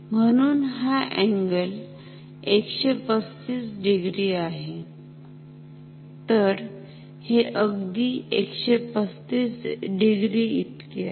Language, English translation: Marathi, So, this angle is 135 degree